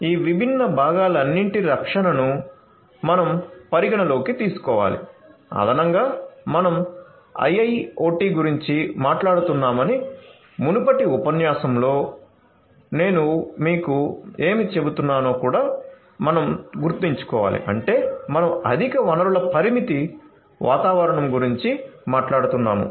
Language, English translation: Telugu, So, we need to consider the protection of all of these different components, additionally we also have to keep in mind what I was telling you in the previous lecture that we are talking about IIoT means that we are talking about a highly resource constrained environment